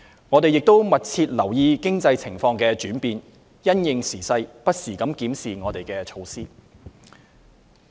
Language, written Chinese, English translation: Cantonese, 我們亦密切留意經濟情況的轉變，因應時勢不時檢視我們的措施。, In addition we have been closely monitoring the changes in the economic condition and will review our measures from time to time in light of the circumstances